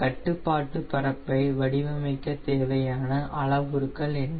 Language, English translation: Tamil, what were the parameters in order to design your control surface